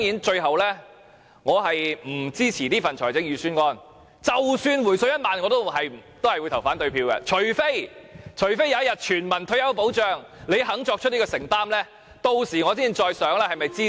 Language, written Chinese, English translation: Cantonese, 最後，我不支持這份預算案，即使政府真的"回水 "1 萬元，我也會投反對票；除非有一日，政府願意作出全民退休保障的承擔，我才會考慮是否支持。, Lastly I do not support this Budget . I am going to vote against it even if the Government does actually hand out a 10,000 cash rebate . Only when the Government willingly commits itself to providing universal retirement protection will I consider giving it support